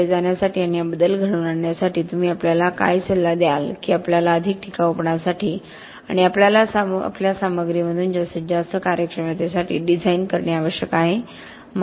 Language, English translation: Marathi, What would you advise us on the way forward and bringing about this change that we will require to design for longer durability and to get the most efficiency out of our materials